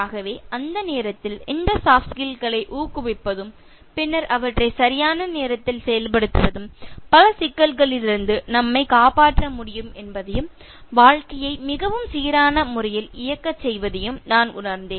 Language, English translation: Tamil, So that was the time, I realized that this inculcating of soft skills, and then implementing them at the right time can save us from many troubles, and can make us run life in a very smooth manner